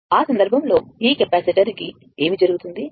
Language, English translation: Telugu, So, in that case, what will happen this capacitor